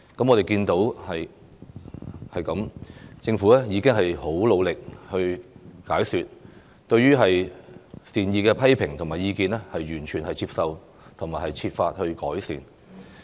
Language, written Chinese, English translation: Cantonese, 我們看到政府很努力地進行解說，完全接受善意的批評和意見，並且設法改善。, We could see that the Government has worked very hard to give explanations on the Bill fully accepted well - intentioned criticisms and comments and made every effort to improve it